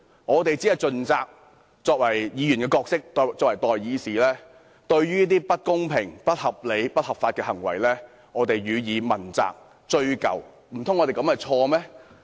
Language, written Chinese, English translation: Cantonese, 我們身為議員，盡責追究一些不公平、不合理、不合法的行為，這樣做難道有錯嗎？, As Members are we in the wrong if we discharge our duties to look into unfair unreasonable and illegal deeds?